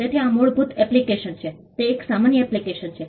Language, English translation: Gujarati, So, this is the default application; it is an ordinary application